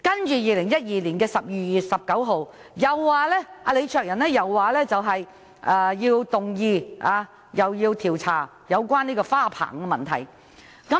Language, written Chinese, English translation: Cantonese, 在2012年12月19日，李卓人又動議調查有關花棚的問題。, On 19 December 2012 LEE Cheuk - yan moved another motion seeking to inquire into matters relating to the trellis